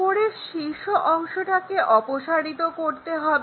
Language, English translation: Bengali, And, the top apex part has to be removed